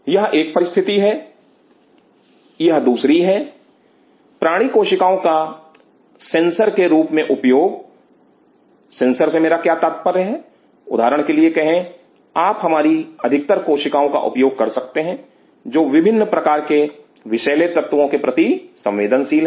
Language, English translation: Hindi, This is one situation the next is two; using animal cells as sensors what do I mean by sensors say for example, you can use most of our cells are very sensitive to different kind of toxins